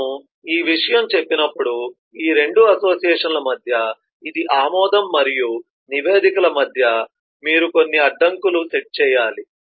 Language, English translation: Telugu, when we say this, you can see that between this approves and reports to between these 2 associations you need to set some constraints